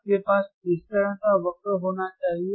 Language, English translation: Hindi, , wWhat kind of curve you should have